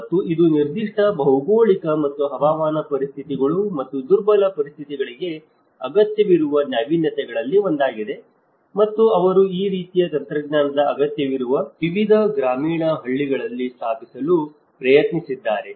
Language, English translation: Kannada, And this has been one of the innovation where it was needed for that particular geographic, and the climatic conditions and the vulnerable conditions and they have tried to install in various rural villages which are been in need of this kind of technology